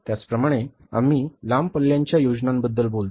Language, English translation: Marathi, Similarly, we talk about the long range plan